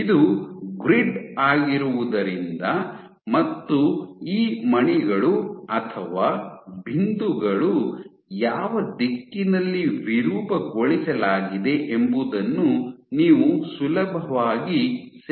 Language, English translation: Kannada, So, since this is a grid you can very easily capture in what direction these beads have been these points have been deformed